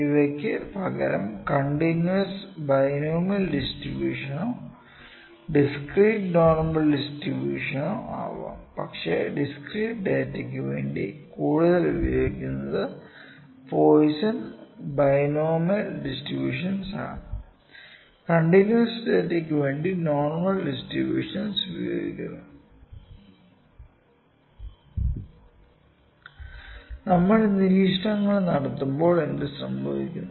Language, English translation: Malayalam, However, they can also be continuous binomial distribution, and on the other hand we can have a discrete normal distribution as well but more commonly used distribution for the discrete purpose for the discrete data are the Poisson and binomial and normal is generally used for continuous data